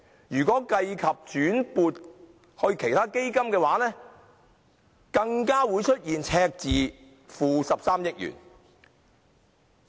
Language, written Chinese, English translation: Cantonese, 如計及轉撥至其他基金的金額，更會出現 -13 億元的赤字。, If we take into account the amount of money transferred to other funds there will be a deficit of 1.3 billion